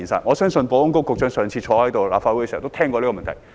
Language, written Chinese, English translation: Cantonese, 我相信保安局局長上次出席立法會會議時也聽過這個問題。, I believe that the Secretary for Security also heard about this problem when he attended the last Council meeting